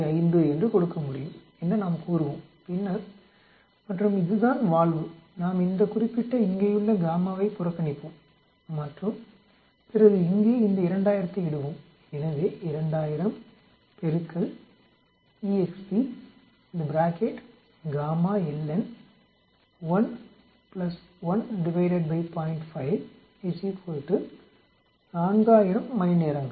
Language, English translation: Tamil, 5 is the gamma function of this and then this is the valve we will neglect this particular gamma here and then we will put this 2000 here